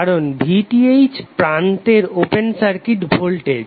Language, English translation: Bengali, Because VTh is open circuit voltage across the terminals